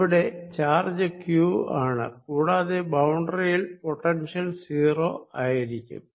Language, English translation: Malayalam, here is the charge q, and i want potential of the boundary to be zero